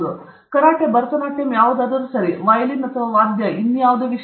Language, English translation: Kannada, The same is the case with karate, Bharatanatyam, whatever, okay violin or any instrument or whatever